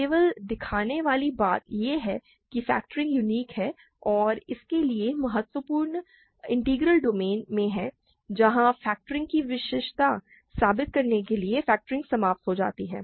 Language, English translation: Hindi, Only thing to show is that factoring is unique and for that the crucial observation is in an integral domain where factoring terminates to prove uniqueness of the factorization